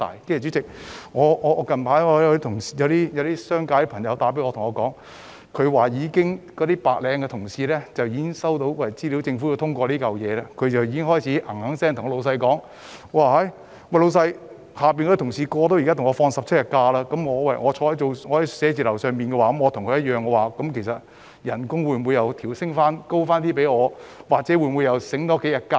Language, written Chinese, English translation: Cantonese, 主席，最近有商界朋友打電話給我，表示其白領僱員收到消息得知政府要通過這項法案後，便開始追問他們，如果下屬即將可以放取17天假期，與在寫字樓工作的白領的假期日數一樣，那麼他們的薪酬是否可以調升又或多享幾天假期。, Chairman not long ago a friend from the business sector called to tell me that when his white - collar employees heard about the Governments plan to push through this Bill he was asked to grant pay rise or additional holidays by these employees since then on the grounds that their subordinates would soon be entitled to 17 days of holidays on a par with that of white - collar workers working in the offices